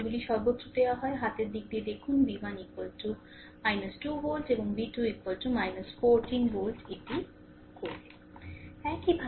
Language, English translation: Bengali, Answers are given everywhere right hand side you see v 1 is equal to minus 2 volt, and v 2 is equal to minus 14 volt this will do